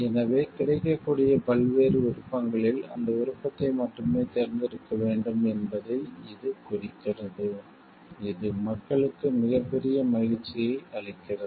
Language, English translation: Tamil, So, this indicates that out of the various options available only that option should be chosen, which gives a greatest happiness for the people